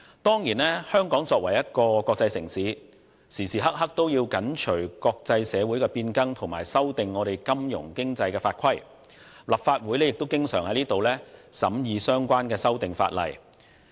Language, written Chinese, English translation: Cantonese, 當然，香港作為國際城市，時刻都要緊隨國際社會變更，修訂金融經濟法規，而立法會亦經常審議相關的法例修訂。, Of course as an international city Hong Kong has to keep up to date with the changes in the international community at all times by amending its financial and economic laws and regulations . Meanwhile the Legislative Council has often been scrutinizing amendments to relevant laws as well